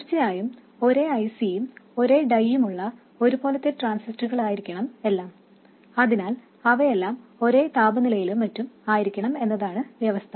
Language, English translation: Malayalam, Of course the condition is that all these transistors must be massed and must be on the same IC, same dye, so that they are all at the same temperature and so on